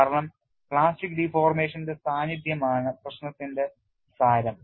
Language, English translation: Malayalam, This is because the essence of the problem is the presence of plastic deformation